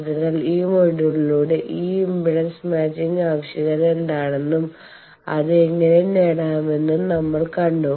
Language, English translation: Malayalam, So, by this whole module we have seen that this impedance matching, what is the need and then how to achieve that